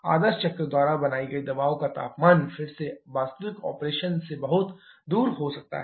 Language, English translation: Hindi, The pressure temperature ranges created by ideal cycle again can be far off than the real operation